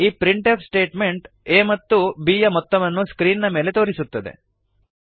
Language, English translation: Kannada, This printf statement displays the sum of a and b on the screen